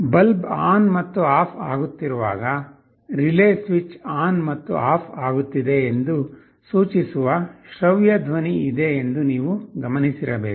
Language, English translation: Kannada, You must have noticed that when the bulb is switching ON and OFF, there is an audible sound indicating that the relay switch is turning on and off